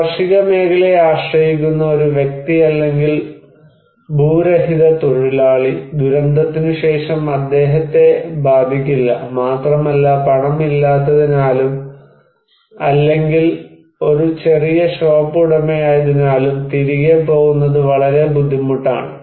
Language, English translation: Malayalam, That a person who depends on agriculture or maybe a landless labor, after the disaster, he is not affected, but also it is very difficult for him to bounce back because he has no money or maybe a small shop owner